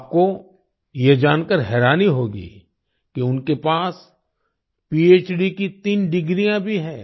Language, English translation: Hindi, You will be surprised to know that he also has three PhD degrees